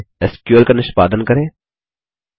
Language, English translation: Hindi, So, let us execute the SQL